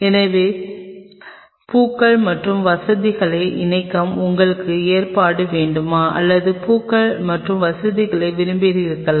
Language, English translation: Tamil, So, there is do you want provision to attach flowers and facility or do you want the flowers and facility